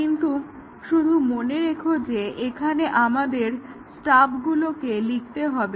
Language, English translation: Bengali, But just remember that here we will have to write stubs